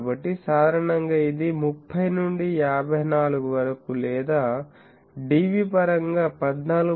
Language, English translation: Telugu, So, typically that comes to 30 to 54 or in dB terms 14